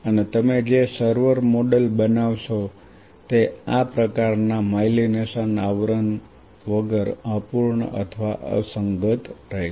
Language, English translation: Gujarati, And what server model you form will be incomplete without or inconsequential without that kind of myelination cover